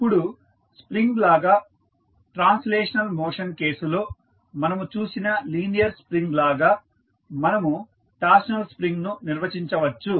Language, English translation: Telugu, Now, similar to the spring, linear spring which we saw in case of translational motion, we can also define torsional spring